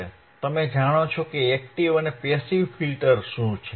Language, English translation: Gujarati, Now you know, what are passive filters